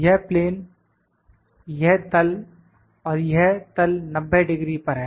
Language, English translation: Hindi, This surface, this plane and this plane is at 90 degree